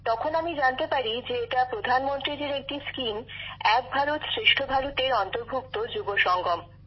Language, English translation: Bengali, So I came to know that this is a coming together of the youth through Prime Minister's scheme 'Ek Bharat Shreshtha Bharat'